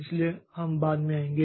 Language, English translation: Hindi, So, we'll come to that later